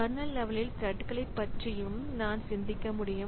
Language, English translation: Tamil, So, I can think about kernel level threads also